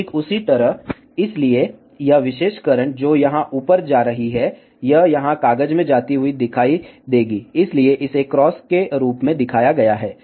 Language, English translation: Hindi, Exactly the same way, so this particular current, which is going up here, it will be appearing going into the paper here, so that is shown as cross